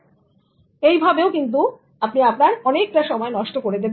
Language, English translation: Bengali, So again you will waste so much of your time